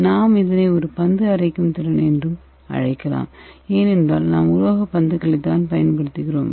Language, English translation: Tamil, So this is the mechanical milling or ball milling equipments, we can also call it like a ball milling, because we are using metallic balls